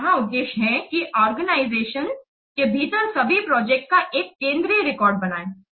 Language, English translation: Hindi, So the objective here is to create a central record of all projects within an organization